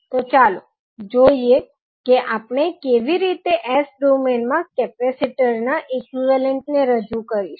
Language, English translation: Gujarati, So, let us see how we will represent the equivalents of capacitor in s domain